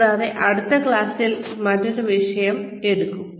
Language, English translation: Malayalam, And, we will take on a different topic in the next class